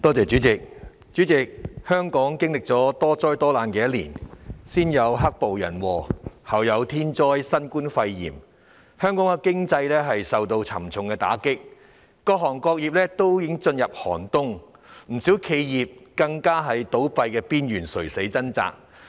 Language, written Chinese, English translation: Cantonese, 主席，香港經歷了多災多難的一年，先有"黑暴"人禍，後有天災新冠肺炎，香港經濟受到沉重打擊，各行各業都已進入寒冬，不少企業更面臨倒閉邊緣，正在垂死掙扎。, President it has been a disaster - ridden year for Hong Kong . First we have the man - made disaster of black violence followed by the natural disaster of novel coronavirus pneumonia . Our economy has been hit hard and various trades and industries have entered a harsh winter